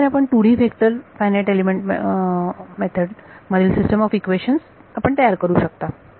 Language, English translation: Marathi, So, this is how you build a system of equations in your 2D vector FEM